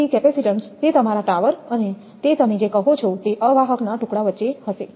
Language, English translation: Gujarati, So, capacitance will happen between that your tower and that your what you call that insulator pieces